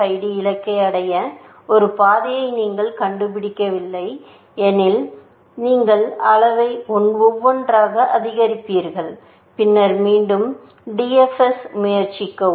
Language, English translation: Tamil, The DFID, if you did not find a path to the goal, you would increment the level by one and then, try the DFS again